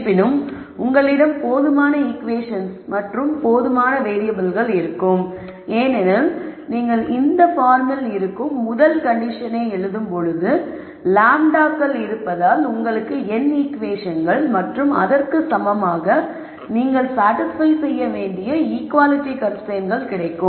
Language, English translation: Tamil, However, you will have enough equations and variables because when you write the first condition which is of this form you will get the n equations and you will get as many equality constraints that need to be satisfied as there are lambdas